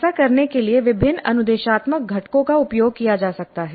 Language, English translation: Hindi, And to do this various instructional components can be used